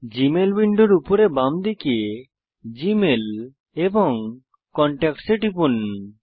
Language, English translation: Bengali, From the top left of the Gmail window, click on GMail and Contacts